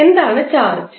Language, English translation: Malayalam, What is charge